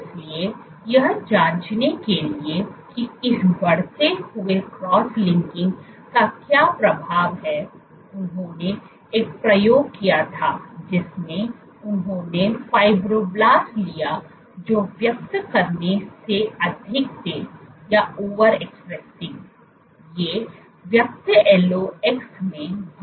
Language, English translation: Hindi, So, to check what is the effect of this increased cross linking what they did was they did an experiment in which they took fibroblasts which were over expressing, these were expressing increased LOX